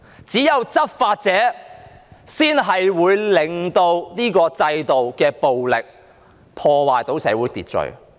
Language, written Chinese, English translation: Cantonese, 只有執法者才可以用制度暴力破壞社會秩序。, Only law enforcement officers can exploit institutional violence to disrupt social order